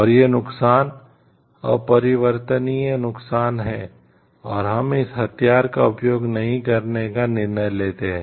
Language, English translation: Hindi, And these losses are irreversible losses and we decide not to use that weapon